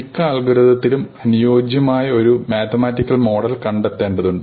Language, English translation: Malayalam, In most algorithms that we will see we need to find a suitable mathematical model